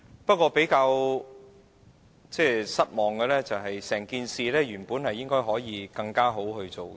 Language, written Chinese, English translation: Cantonese, 不過，我較為失望，因為整件事本來可以做得更好。, But I am a bit disappointed because the authorities could have dealt with the whole thing in a much better way